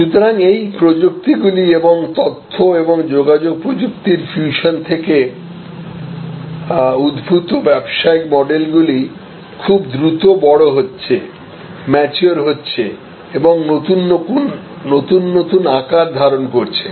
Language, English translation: Bengali, So, these technologies and the business models derived from those information and communication technology fusion are growing maturing taking new shapes very, very rapidly